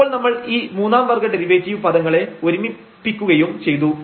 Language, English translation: Malayalam, So, we will compute now the second order derivative of this term